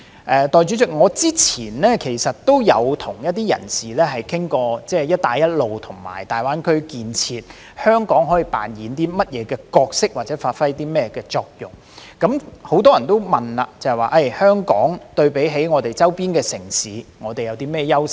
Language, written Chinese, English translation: Cantonese, 代理主席，我之前曾與一些人士討論，香港在"一帶一路"和大灣區建設中可以扮演甚麼角色或發揮甚麼作用。很多人會問，香港對比其周邊城市有何優勢？, Deputy President I have discussed with some people about the roles and functions of Hong Kong under the Belt and Road Initiative and the development of GBA and they tend to ask What are the advantages of Hong Kong over its neighbouring cities?